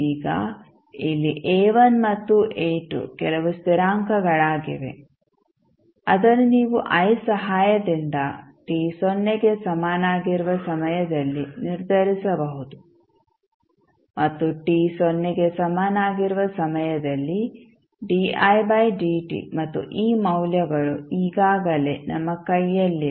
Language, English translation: Kannada, Now, here a1 and a2 are some constants which you can determine with the help of I at time t is equal to 0 and di by dt at time t is equal to 0 and these values we already have in our hand